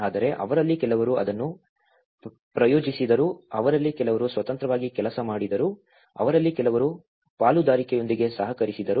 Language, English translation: Kannada, But at least some of them they sponsored it, some of them they worked independently, some of them they collaborated with partnerships